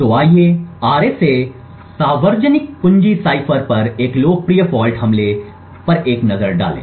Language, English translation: Hindi, So let us take a look at a popular fault attack on the RSA public key cipher